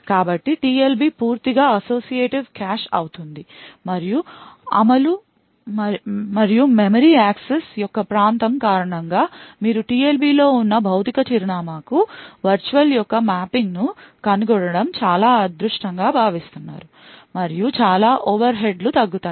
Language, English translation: Telugu, So, the TLB would be fully associative cache and it is expected that due the locality of the execution and memory accesses you are quite lucky to find the mapping of virtual to physical address present in the TLB and a lot of overheads will be reduced